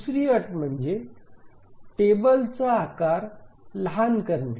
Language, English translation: Marathi, The second condition is minimization of the table size